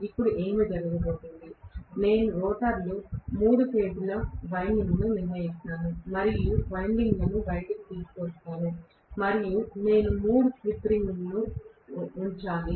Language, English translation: Telugu, Now, what is going to happen is, I will have the three phase winding deciding in the stator, rotor and windings will be brought out and I have to put 3 slip rings